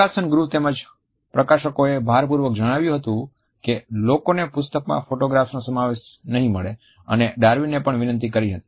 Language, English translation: Gujarati, The publication house as well as the publishers had insisted that people may not receive the inclusion of photographs in the text and had requested Darwin to avoid it